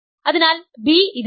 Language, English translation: Malayalam, So, b is in this